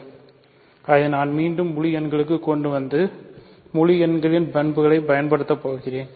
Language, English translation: Tamil, So, I am going to bring it back to the integers and use the properties of integers